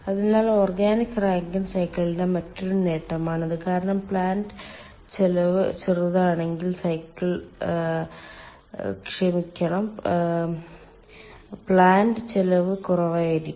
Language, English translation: Malayalam, so that is another advantage of organic rankine cycle, because the cycle sorry, if the plant cost will be small, plant cost will be low